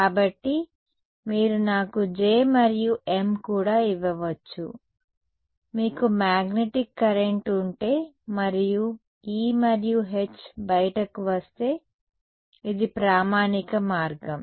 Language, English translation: Telugu, So, you give me J and maybe even M if you have a magnetic current and out comes E and H this is a standard route